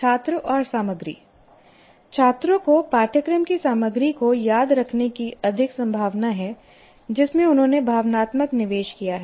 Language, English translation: Hindi, And with regard to students and content, students are much more likely to remember curriculum content in which they have made an emotional investment